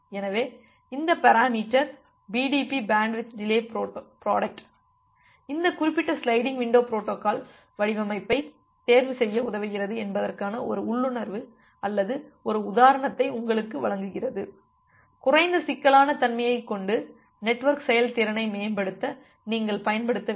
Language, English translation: Tamil, So, this gives you an intuition or an example that how this parameter BDP bandwidth delay product help you to make a design choice that which particular sliding window protocol, you should use to improve the network performance with having minimal complexity